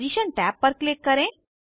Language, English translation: Hindi, Click on Position tab